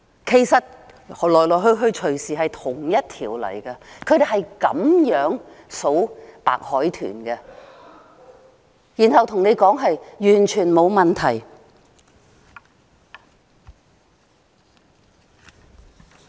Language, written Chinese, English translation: Cantonese, 其實來來去去隨時可能是同一條，他們是用這方法計算白海豚的數目，然後對我們說完全沒問題。, This is what they do in counting the number of dolphins and then they told us that there is no problem at all